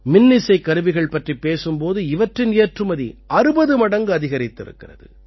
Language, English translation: Tamil, Talking about Electrical Musical Instruments; their export has increased 60 times